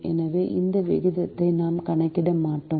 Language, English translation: Tamil, therefore, we will not calculate this ratio